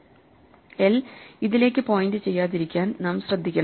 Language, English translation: Malayalam, So, we must be careful not to make l point to this thing